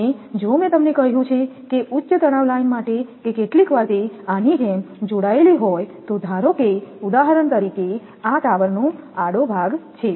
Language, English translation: Gujarati, And if it is I told you that for high tension line I told you that sometimes it is connected like this, that suppose this is the tower cross arm for example